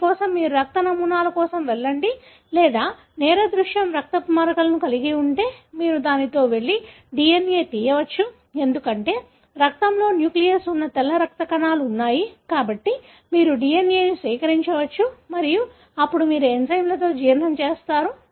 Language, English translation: Telugu, For that, either you go for the blood samples or if the crime scene has got blood spots, you can go with that and extract DNA, because the blood has got white blood cells, which are having the nucleus, therefore you can extract DNA and then you digest with the enzymes